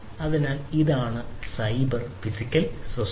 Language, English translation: Malayalam, So, this is the cyber physical system